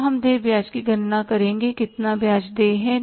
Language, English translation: Hindi, Now we will calculate the interest payable